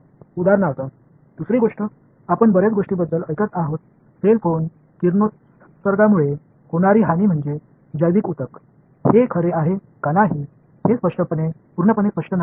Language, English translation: Marathi, The other thing for example, we hear about a lot is cell phone radiation damage to let us say biological tissue, is it true is it not true well, it is not fully clear